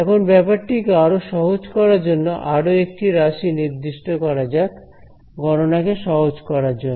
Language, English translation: Bengali, Now, to make our life a little bit more simpler, let us define yet another term over here just to simplify the math